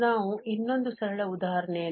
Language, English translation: Kannada, We can consider another simple example